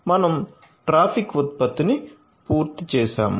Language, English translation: Telugu, So, we have completed the traffic generation